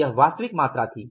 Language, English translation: Hindi, It was the actual quantity